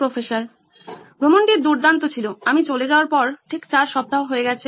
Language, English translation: Bengali, Trip was great, it has been exactly 8 weeks since I left